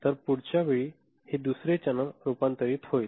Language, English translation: Marathi, So, next time it is converting another channel